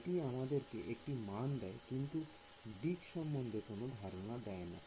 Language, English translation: Bengali, It gives me a value it does not give me direction right